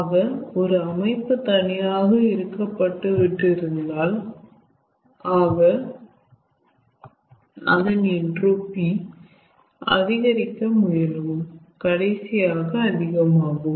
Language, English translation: Tamil, so if a system is left to itself in an isolated manner, so its entropy will try to increase and ultimately maximize ah